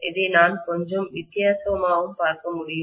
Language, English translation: Tamil, I can also look at it a little differently